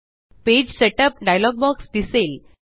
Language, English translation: Marathi, The Page setup dialog box is displayed